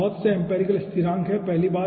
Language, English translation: Hindi, okay, here lots of empirical constants are necessary